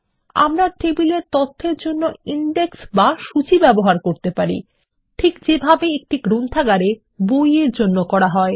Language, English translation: Bengali, We can use indexes for table data, like we use a catalogue for a Library of books